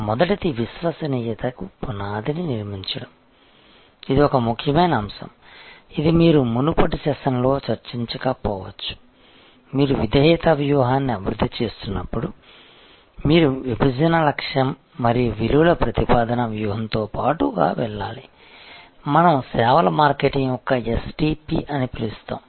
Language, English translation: Telugu, First is building a foundation for loyalty, this is an important point I think I might not have discussed it in the previous session that when you are developing a loyalty strategy, you have to go hand in hand with your Segmentation, Targeting and your value proposition strategy, which we call the STP of services marketing